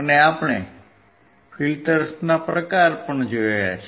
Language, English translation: Gujarati, And we have also seen the type of filters